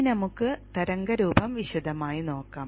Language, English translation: Malayalam, So let me remove this part of the waveform